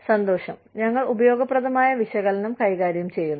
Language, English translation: Malayalam, Pleasure, we are dealing with utilitarian analysis